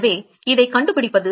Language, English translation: Tamil, So, how do we find this